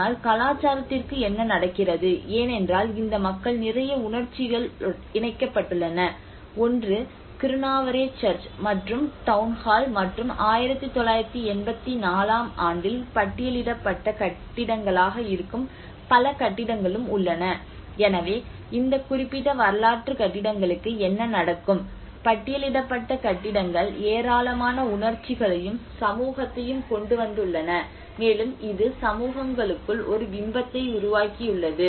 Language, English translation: Tamil, But what happens to the culture because a lot of emotions which are attached by these people, one is the Kirunavare Church and the Town Hall and there are also many other buildings which are all listed buildings in 1984 so what happens to these particular historical buildings you know the listed buildings which have carry a lot of emotions and society have laid upon these emotions, and it has created an image within the society